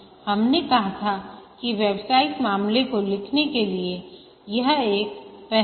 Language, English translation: Hindi, We had said that this is one of the initiating processes to write the business case